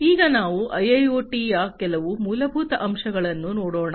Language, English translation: Kannada, So, let us now look at some of the fundamental aspects of IIoT